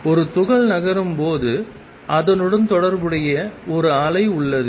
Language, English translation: Tamil, There is a particle moving and there is a wave associated with it